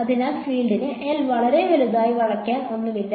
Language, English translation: Malayalam, So, the field does not have anything to bend around L is so large